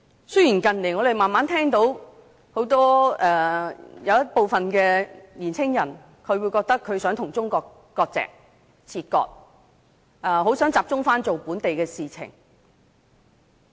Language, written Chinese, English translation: Cantonese, 雖然近年慢慢聽到有部分年青人想與中國切割，很想集中關於本土的事情。, In recent years I have gradually become aware that some young people wanted to dissociate themselves from China and focus their attention on local issues